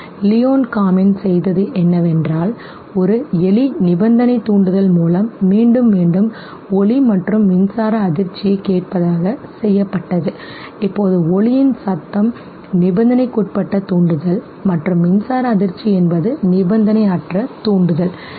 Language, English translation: Tamil, What Leon Kamin did was that a rat was conditioned by repeatedly pairing a tone of sound and electric shock, now tone of the sound is the conditioned stimulus and the electric shock is the unconditioned stimulus okay